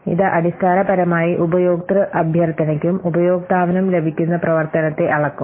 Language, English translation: Malayalam, So it will basically measure the functionality that the user request and the user receives